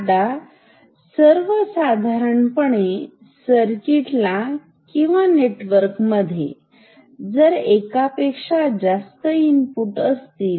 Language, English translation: Marathi, Now, if a circuit, if a in general if a circuit or a network has multiple inputs